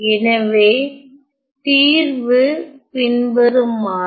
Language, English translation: Tamil, So, the solution is as follows